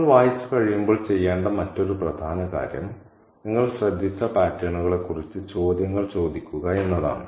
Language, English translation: Malayalam, And the other important thing to do when you close read is to ask questions about the patterns that you have noticed